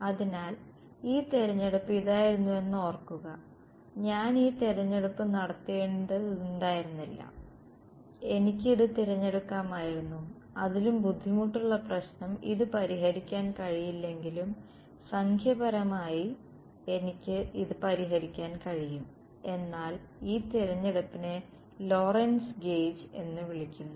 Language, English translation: Malayalam, So, this choice remember this was the choice, I need not have made this choice and I could have chosen this although even more difficult problem its not unsolvable numerically I can solve it, but this choice is what is called the Lorentz gauge